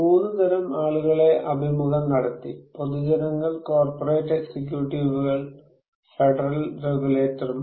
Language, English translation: Malayalam, Three kind of people were interviewed; general public, corporate executives, and federal regulators